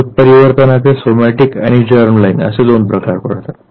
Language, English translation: Marathi, Mutations are of two types the germ line mutation and the somatic mutation